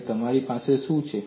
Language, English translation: Gujarati, And what you have